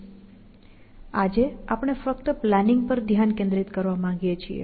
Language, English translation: Gujarati, So, we just want to focus on the planning actions today